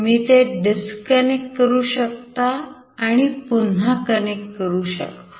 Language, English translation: Marathi, Basically you can disconnect it and then again you can connect it